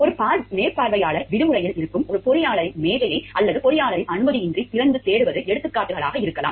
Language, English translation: Tamil, Examples could be a supervisor unlocks and searches the desk of an engineer who is away on vacation without the permission of that engineer